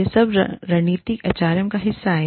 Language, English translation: Hindi, All of this is, part of strategic HRM